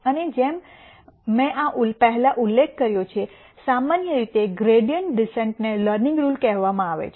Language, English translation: Gujarati, And as I mentioned before this, gradient descent is usually called the learning rule